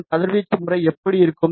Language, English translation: Tamil, So, how will be its radiation pattern